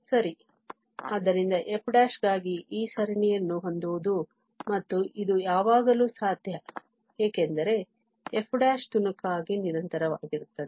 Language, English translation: Kannada, Well, so having this series for f prime and which is always possible because f prime is piecewise continuous